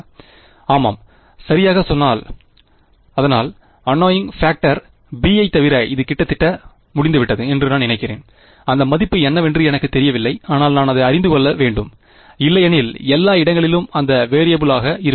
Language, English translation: Tamil, Yeah exactly, so I mean it is a fine it is almost done except for the annoying factor b which I still do not know how what that value is, but I need to know it because otherwise I will have that one variable everywhere